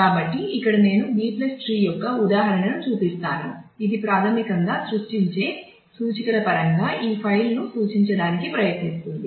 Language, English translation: Telugu, So, here we I show an instance of a B + tree, which is basically trying to represent this file in terms of the creating indexes